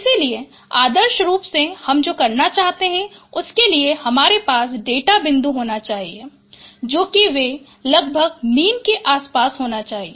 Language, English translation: Hindi, So our ideally what we would like to have ideally you should have the data points they should be closely spaced around mean and they should be largely separated